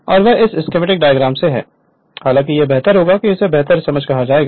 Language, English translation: Hindi, And that is from this schematic diagram I thought it will be better your what you call it will be better understanding